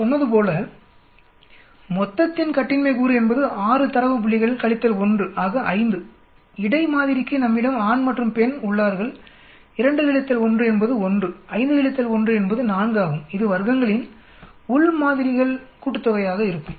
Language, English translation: Tamil, As I said the degrees of freedom for total is 6 data points minus 1 is 5, for between sample we have male and female 2 minus 1 is 1, 5 minus 1 is 4 that will be the within samples sum of squares